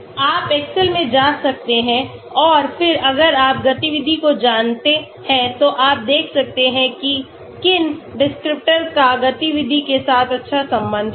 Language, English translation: Hindi, You can go to excel and then if you know the activity you can see which descriptors have good high correlation with activity